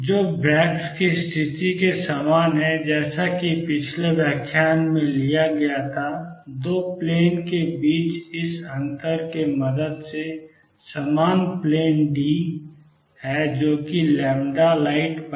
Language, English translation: Hindi, Which is the same as Braggs condition as derived in the previous lecture with this difference between 2 planes same planes is being d which is lambda light divided by 2